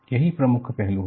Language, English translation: Hindi, That is the key aspect